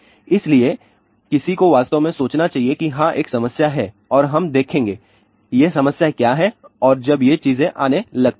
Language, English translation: Hindi, So, one you would really think about yes there is definitely a problem and we will see what are these problems and when these things start coming